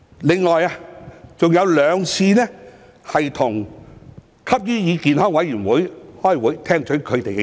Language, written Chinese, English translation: Cantonese, 另有兩次跟香港吸煙與健康委員會開會，聽取他們的意見。, I also had two meetings with the Hong Kong Council on Smoking and Health to receive their views